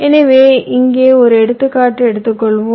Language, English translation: Tamil, ok, so lets take an example here